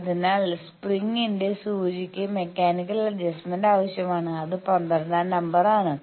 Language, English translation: Malayalam, So, that needle that spring needs some mechanical adjustment that is number 12